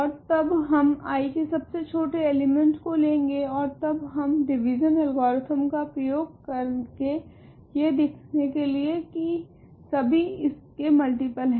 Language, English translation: Hindi, And then we simply take the least positive element of I and then we use division algorithm to argue that everything is a multiple of that